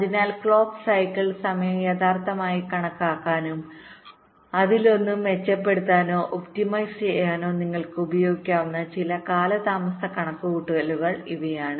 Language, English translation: Malayalam, ok, so these are some delay calculation you can use to actual estimate the clock cycle time and to improve or or optimise one